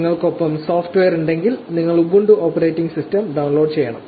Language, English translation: Malayalam, Once you have the software with you, now you need to download the Ubuntu operating system